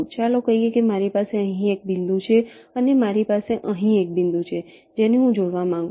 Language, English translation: Gujarati, lets say i have a point here and i have a point here which i want to connect